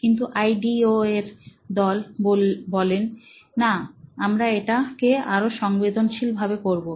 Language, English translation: Bengali, But ideo’s team said, “no, we will do it more touchy feely”